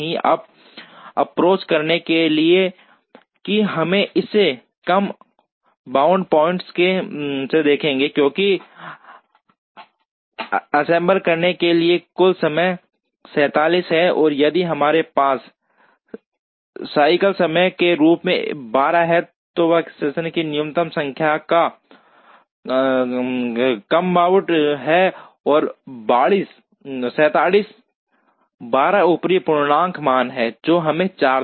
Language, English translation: Hindi, Now, in order to approach that we will look at it from a lower bound point of view, because total time required to assemble is 47 and if we have 12 as a cycle time, then the minimum number of workstations which is a lower bound is 47 by 12 upper integer value, which would give us 4